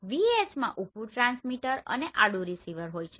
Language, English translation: Gujarati, In VH vertical transmit horizontal receive